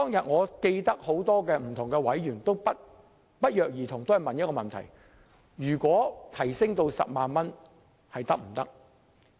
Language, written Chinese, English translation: Cantonese, 我記得當日很多委員均不約而同詢問把司法管轄權限提高至10萬元是否可行。, I remember that on that day many members coincidentally asked whether it was feasible to raise the jurisdictional limit to 100,000